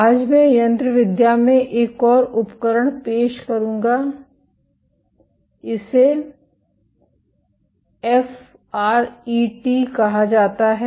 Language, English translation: Hindi, Today I would introduce another tool in mechanobiology, this is called FRET